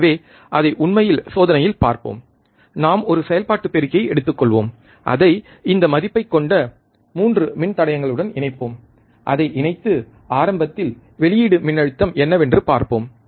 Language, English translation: Tamil, So, let us see this actually in the experiment, we will connect we will take a operational amplifier 3 resistors of this value, we connect it, and let us see the output voltage initially